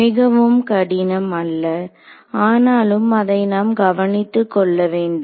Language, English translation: Tamil, Not very hard, but we just have to keep taking care of it